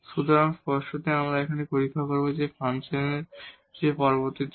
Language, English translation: Bengali, So, definitely we will test at this point what is the value of the function later on